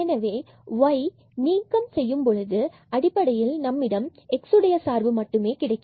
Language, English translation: Tamil, So, by removing this y from here we have basically this function of x